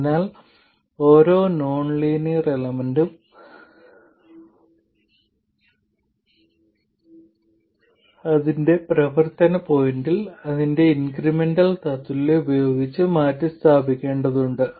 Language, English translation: Malayalam, So every nonlinear element has to be replaced by its incremental equivalent at its operating point